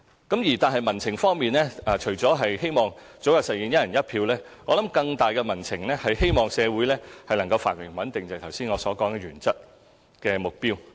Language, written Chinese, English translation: Cantonese, 不過，民情除了希望早日實現"一人一票"外，我認為更大的民情便是希望社會繁榮和穩定，正如我剛才所講的原則性目標。, However other than implementing one person one vote I believe that the prevailing public opinion is to maintain the prosperity and stability of the society which is one of the guiding objectives I mentioned